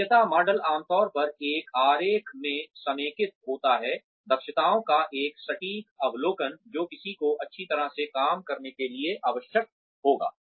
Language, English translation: Hindi, Competency model usually consolidates in one diagram, a precise overview of the competencies, that someone would need, to do a job well